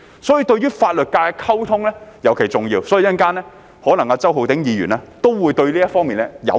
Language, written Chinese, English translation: Cantonese, 所以與法律界的溝通尤其重要，稍後可能周浩鼎議員也會對這方面表達意見。, This is why the communication with the legal profession is particularly important . Later on perhaps Mr Holden CHOW will also express his views in this respect